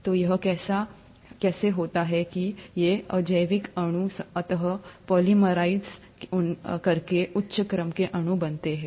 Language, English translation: Hindi, So how is it that these abiotic molecules eventually went on to polymerize and form higher order molecules